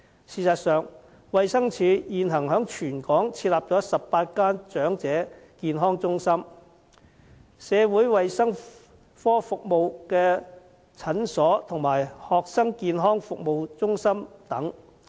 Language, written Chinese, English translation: Cantonese, 事實上，衞生署現時在全港設有18間長者健康中心、社會衞生科服務的診所及學生健康服務中心等。, As a matter of fact the Department of Health has set up throughout the territory 18 Elderly Health Centres on top of a number of Social Hygiene Clinics Student Health Service Centres and so on